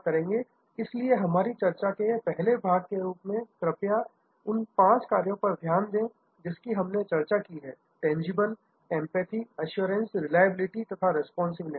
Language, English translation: Hindi, So, as the first part of our discussion, please go over those five factors that we have discussed, tangibility, empathy, assurance, reliability and responsiveness